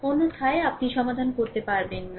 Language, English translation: Bengali, Otherwise you cannot solve, right